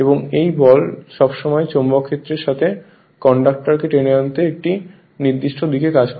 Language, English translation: Bengali, And the force always act in a direction to drag the conductor you are along with the magnetic field